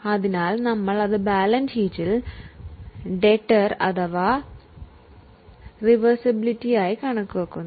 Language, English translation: Malayalam, So, we show it in the balance sheet as a debtor or a receivable